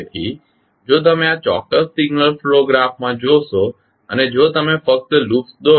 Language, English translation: Gujarati, So, if you see in this particular signal flow graph and if you only draw the loops